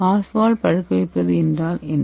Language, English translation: Tamil, what is Oswald ripening